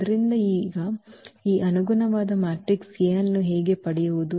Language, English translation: Kannada, So, now, how to get this corresponding matrix A